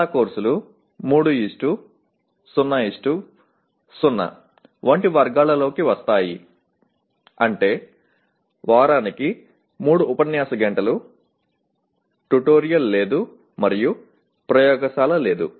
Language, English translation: Telugu, Most of the courses fall into these categories like 3:0:0 which means 3 lecture hours per week, no tutorial, and no laboratory